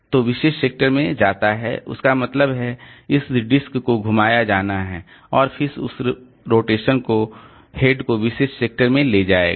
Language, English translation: Hindi, So, going to the particular sector, that means this disk has to be rotated and then that rotation will take the head to the particular sector